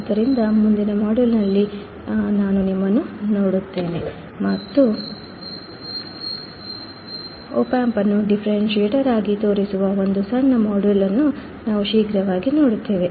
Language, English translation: Kannada, So, I will see you in the next module, and we will see quickly a very short module which will show the opamp as a differentiator